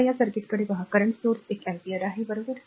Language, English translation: Marathi, Now, look at this circuit is a current source one ampere, right